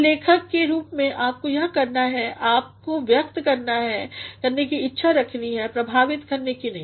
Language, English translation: Hindi, So, as writers what you must do is, you must intend to express and not to impress